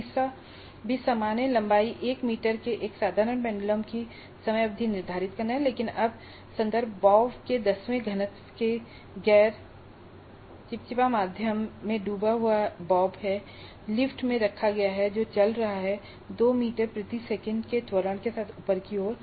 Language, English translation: Hindi, The third one is also same determine the time period of a simple pendulum of length 1 meter, but now the context is the bob dipped in a non viscous medium of density one tenth of the bob and is placed in lift which is moving upwards with an acceleration of 2 meters per second square